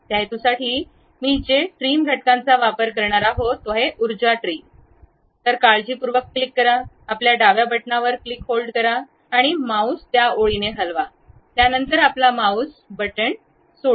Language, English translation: Marathi, For that purpose, what I am going to do use trim entities, pick power trim, carefully click hold your left button click hold, and move your mouse along that line, then release your mouse button